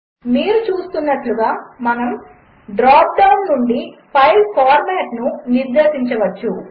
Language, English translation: Telugu, As you can see we can specify the format of file from the dropdown